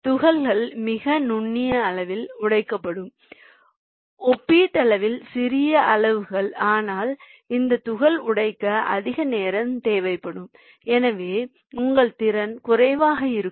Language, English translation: Tamil, so the particles will be broken to a very finer size, relatively finer sizes, but it will require more time for that particle to be broken, so your capacity will be less